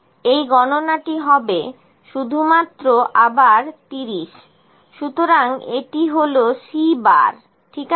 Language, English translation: Bengali, The count would be again 30 only, so this is C bar, ok